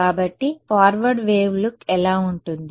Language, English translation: Telugu, So, what is the forward wave look like